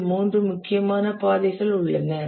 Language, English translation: Tamil, So then there are three critical paths